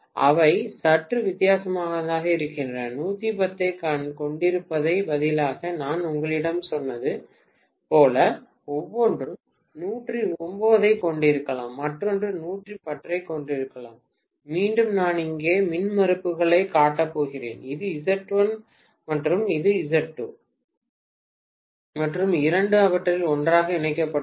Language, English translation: Tamil, They are slightly different, maybe like what I told you instead of having 110 each maybe one is having 109, the other one is having 110, right again I am going to show the impedances here, this is Z1 and this is Z2, and both of them are connected together